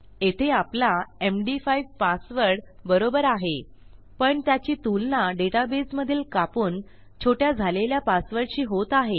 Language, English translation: Marathi, The problem here is that our md5 password is absolutely correct but it is being compared to a password which is cut short in our database